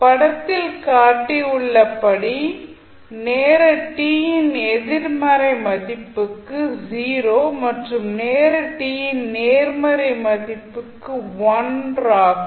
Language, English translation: Tamil, Unit step function is 0 for negative value of time t and 1 for positive value of time t as shown in the figure